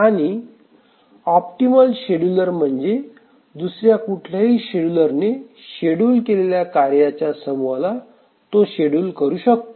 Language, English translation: Marathi, And an optimal scheduler is one which can feasibly schedule a task set which any other scheduler can schedule